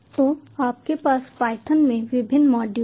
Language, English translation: Hindi, so you have various modules in python, so you import the module name